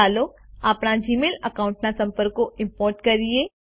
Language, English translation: Gujarati, Lets import the contacts from our Gmail account